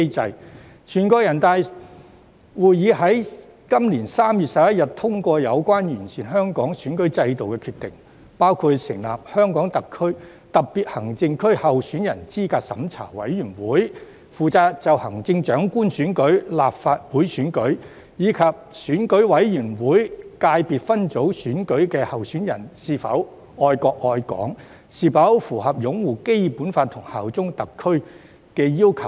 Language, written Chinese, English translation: Cantonese, 在今年3月11日，全國人大會議通過有關完善香港選舉制度的決定，包括成立香港特別行政區候選人資格審查委員會，負責審查行政長官選舉、立法會選舉及選舉委員會界別分組選舉的候選人是否愛國愛港，以及是否符合擁護《基本法》及效忠特區的要求。, At the meeting on 11 March this year NPC endorsed the decision on improving the electoral system of Hong Kong including the establishment of the Candidate Eligibility Review Committee which is responsible for reviewing whether candidates for the Chief Executive election the Legislative Council election and the Election Committee Subsector Elections are patriotic and whether they fulfil the requirements of upholding the Basic Law and bearing allegiance to HKSAR